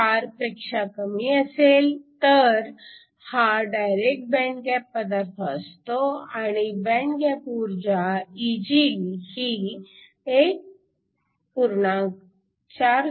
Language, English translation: Marathi, 4 this is a direct band gap material and the band gap Eg is 1